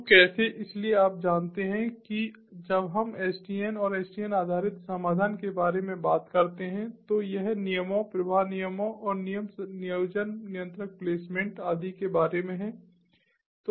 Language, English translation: Hindi, so you know, when we talk about sdn and in sdn based solution, its about rules, flow, rules and rule placement, controller placement and so on